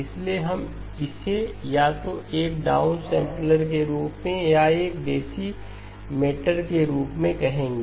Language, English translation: Hindi, So we will just call it either as a downsampler or as a decimator